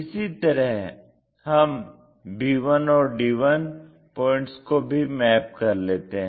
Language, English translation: Hindi, Correspondingly, the b 1 points, d 1 points are also mapped